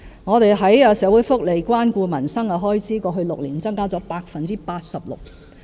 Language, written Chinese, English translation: Cantonese, 我們在社會福利及關顧民生的開支，過去6年增加了 86%。, As for our expenditure on welfare and care for peoples livelihood it has been increased by 86 % in the past six years